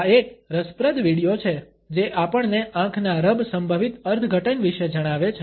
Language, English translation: Gujarati, This is an interesting video, which tells us about the possible interpretations of the eye rub